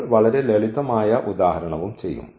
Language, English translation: Malayalam, We will be doing very simple example also